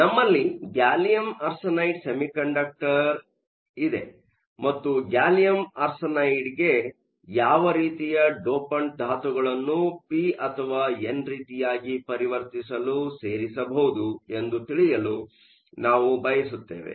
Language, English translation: Kannada, So, the semiconductor we have is gallium arsenide and we want to know what sort of elements could be added as dopants to gallium arsenide to make it p or n type